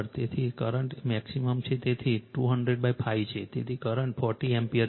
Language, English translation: Gujarati, So, the current is maximum so 200 by 5, so current is 40 ampere right